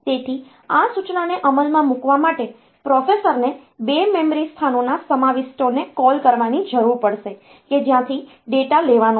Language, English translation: Gujarati, So, for executing this instruction the processor will need to get to call the contents of the 2 memory locations from where the data should be taken